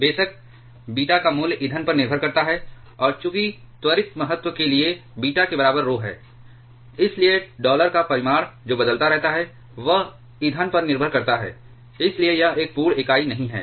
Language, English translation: Hindi, Of course, the value of beta depends upon the fuel and as the condition for prompt criticality is rho equal to beta; so, the magnitude of dollar that also keeps on varying depends on depending on fuel therefore, it is not an absolute unit